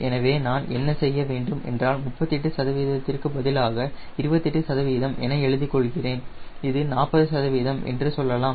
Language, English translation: Tamil, so what i should do is, instead of thirty eight percent, right, i can, let me write twenty five percent to, lets say, forty percent, which is it will have a side